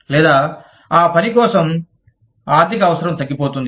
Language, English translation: Telugu, Or, diminishing economic need for the work